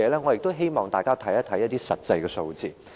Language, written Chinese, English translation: Cantonese, 我也希望大家看看一些實際數字。, I also want Members to look at some actual figures